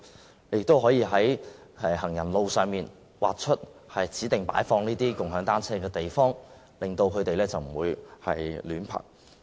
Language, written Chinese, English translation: Cantonese, 政府亦可以在行人路上劃出指定擺放"共享單車"的地方，以免人們隨處停泊單車。, The Government can also designate specific space on pavements for placing shared bicycles to prevent people from parking the bicycles anywhere